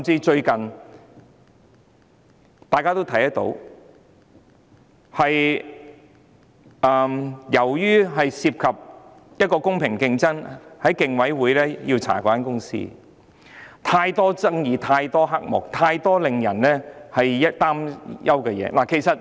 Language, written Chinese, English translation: Cantonese, 最近，由於有關公司涉及公平競爭，被競委會調查，當中牽涉太多爭議、太多黑幕，以及太多令人擔憂的事宜。, Recently her company is involved in matters relating to fair competition and is being investigated by the Competition Commission . The case involves many disputes under - table dealings and matters of public concern